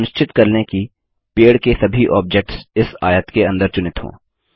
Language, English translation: Hindi, Ensure all the objects of the tree are selected within this rectangle